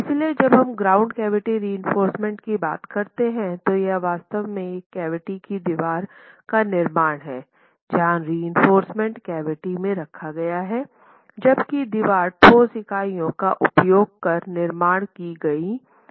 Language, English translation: Hindi, So, when we talk of grouted cavity reinforced masonry, it is really the cavity wall construction where reinforcement is placed in the cavity, whereas the wall itself is constructed using solid units